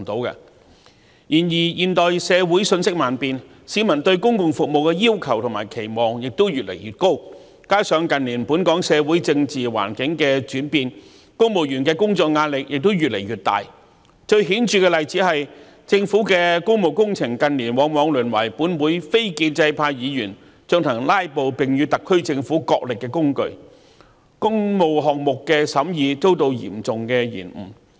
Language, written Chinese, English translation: Cantonese, 然而，現代社會瞬息萬變，市民對公共服務的要求和期望亦越來越高，加上近年本港社會政治環境轉變，公務員的工作壓力越來越大，最顯著的例子是政府的工務工程近年往往淪為本會非建制派議員進行"拉布"及與特區政府角力的工具，令工務項目的審議遭到嚴重延誤。, However in this rapidly changing modern society people have increasingly higher aspirations and expectations of public services . Besides with the changes in our socio - political environment in recent years civil servants are subject to continuously more work pressure . The most obvious example is public works projects of the Government which have become over recent years the battlefield for filibustering by non - establishment Members of this Council and the tool for them to wrestle with the Government